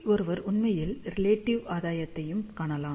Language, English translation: Tamil, So, one can actually see the relative gain also